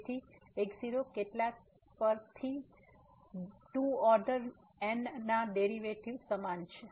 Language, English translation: Gujarati, So, at several so the derivatives of 2 order are equal